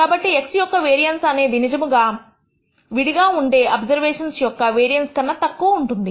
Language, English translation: Telugu, So, the variance of x bar is actually lower than the variance of the individual observations